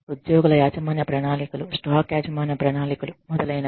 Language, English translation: Telugu, Employee ownership plans, stock ownership plans, etcetera